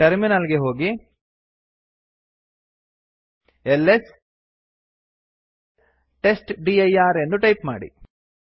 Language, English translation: Kannada, Go back to the terminal and type ls testdir